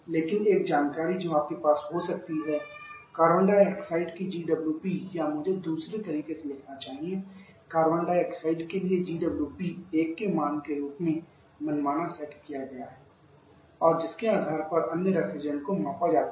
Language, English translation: Hindi, But one information that you can have that the GWP of carbon dioxide or, I should write the other way the GWP for Carbon dioxide has been arbitrary set to value of 1